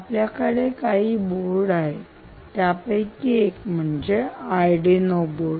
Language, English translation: Marathi, so you have a bunch of these boards which can, or arduino based boards, for instance